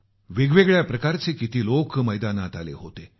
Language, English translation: Marathi, Various kinds of people took to the arena